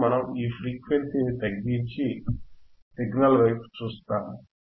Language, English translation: Telugu, Now we will decrease this frequency, we will decrease the frequency and look at the signal